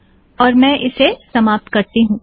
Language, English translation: Hindi, Let me finish with this